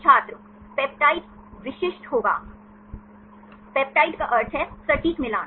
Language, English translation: Hindi, peptide will be specific Peptide means exact match